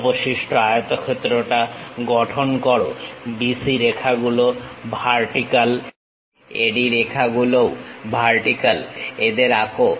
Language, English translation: Bengali, Construct the remaining rectangle BC lines vertical, AD lines also vertical, draw them